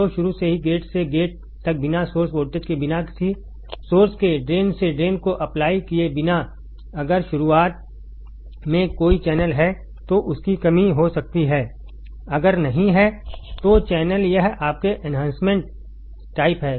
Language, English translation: Hindi, So, from the beginning without applying gate to gate to source voltage, without applying drain to source voltage if there is a channel in the beginning its a depletion type, if there is no channel it is your enhancement type